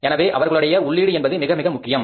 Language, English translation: Tamil, So, their inputs are very important